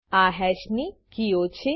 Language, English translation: Gujarati, These are the keys of hash